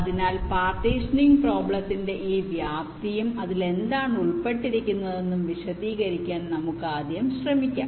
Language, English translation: Malayalam, so let us first try to explain this scope of the partitioning problem and what does it involve